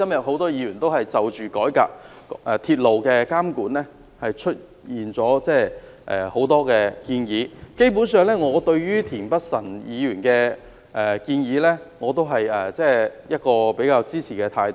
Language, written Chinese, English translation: Cantonese, 很多議員今天就改革鐵路監管提出了很多建議，對於田北辰議員的建議，我基本上支持。, Many Members today made many suggestions on how to reform the monitoring of the railway . I basically support the proposals made by Mr Michael TIEN